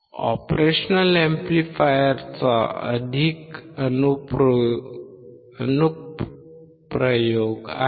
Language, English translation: Marathi, There are more applications of operational amplifier